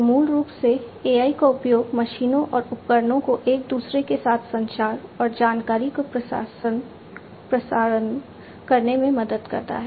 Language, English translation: Hindi, So, basically, you know, use of AI helps the machines and equipments to communicate and relay information with one another